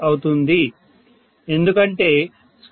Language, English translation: Telugu, 6 because 0